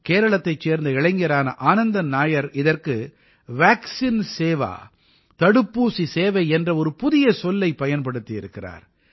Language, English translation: Tamil, A youth Anandan Nair from Kerala in fact has given a new term to this 'Vaccine service'